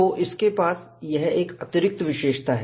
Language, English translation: Hindi, So, this is an additional feature it has